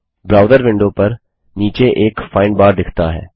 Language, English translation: Hindi, A Find bar appears at the bottom of the browser window